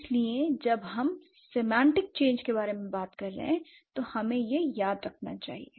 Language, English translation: Hindi, So, that's how we need to remember when we were talking about semantic change